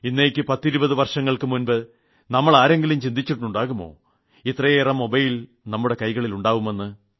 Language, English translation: Malayalam, Twenty years ago who would have thought that so many mobiles would be in our hands